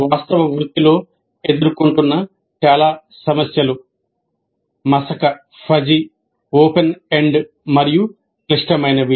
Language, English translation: Telugu, Most of the problems faced in the actual profession are fuzzy, open ended and complex